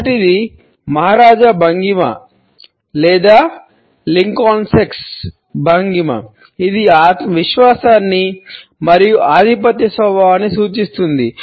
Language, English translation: Telugu, The first is the maharaja posture or the Lincolnesque posture which suggest a confidence as well as a dominant nature